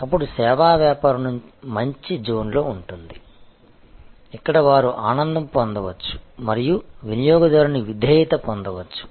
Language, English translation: Telugu, Then, the service business will be in the zone, where they can cost delight and gain customer loyalty and advocacy